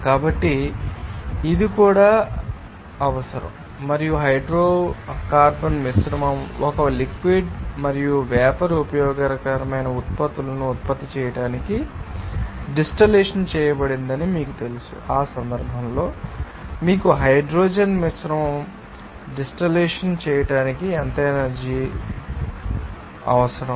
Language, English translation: Telugu, So, it is also required and also you know that hydrocarbon mixture is you know distilled to produce a liquid and vapor useful products in that case some energy is required to distill that you know hydrocarbon mixture